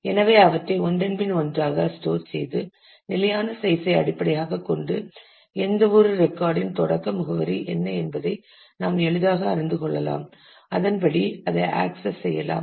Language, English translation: Tamil, So, we store them one after the other and based on the fixed size, we can easily know what is the starting address of any record and we can access it accordingly